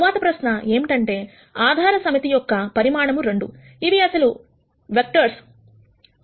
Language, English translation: Telugu, The next question is the basis set is size 2, what are the actual vectors